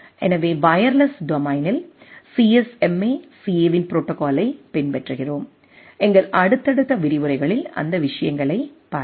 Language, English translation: Tamil, So, rather in wireless domain we follow a protocol of CSMA/CA will look into those things in our subsequent lectures